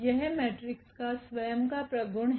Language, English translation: Hindi, This is the property of the matrix itself